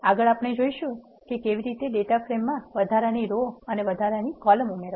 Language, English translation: Gujarati, Next, we will see how to add extra rows and columns to the data frame